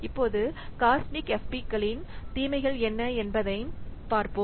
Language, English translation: Tamil, Now let's quickly see about the what disadvantages of the cosmic FPs